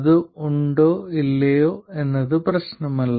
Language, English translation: Malayalam, It doesn't matter if it is or if it is not